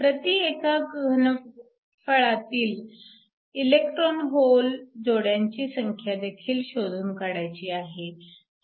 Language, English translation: Marathi, So, We also want to calculate the electron hole pairs per unit volume